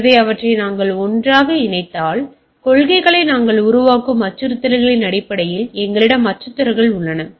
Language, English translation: Tamil, So, putting them together; so what we have we have threats based on the threats we frame policies